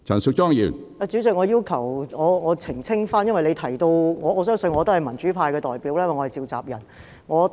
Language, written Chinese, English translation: Cantonese, 主席，我要澄清，因為你提到......我相信我可代表民主派發言，因為我是召集人。, President I have to make a clarification because you mentioned I believe that as the convenor I can speak on behalf of the democratic camp